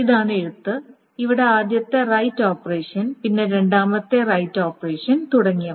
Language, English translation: Malayalam, So this is the right, the first right operation there, then the second right operation there and so on, so forth